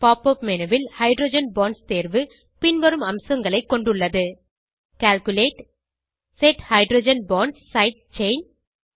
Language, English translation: Tamil, The Hydrogen Bonds option in the Pop up menu has features such as: Calculate, Set Hydrogen Bonds Side Chain